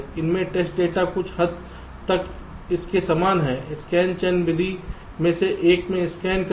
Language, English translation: Hindi, this is somewhat very similar to this scan in one of the scan chain method